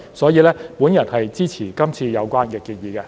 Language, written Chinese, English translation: Cantonese, 所以，我支持今次有關建議。, Therefore I support the current proposals